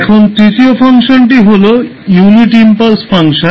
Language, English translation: Bengali, Now, the third function is unit impulse function